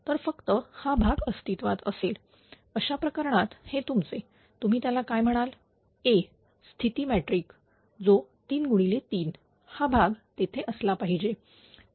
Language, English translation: Marathi, So, only this term will exist in that case it will be your what to call state there A matrix will be 3 into 3 this term should not be there